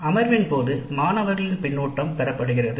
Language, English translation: Tamil, The student feedback is obtained during the session